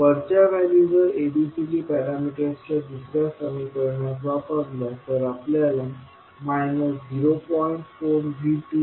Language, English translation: Marathi, Now we apply this to ABCD parameter equations so what we can write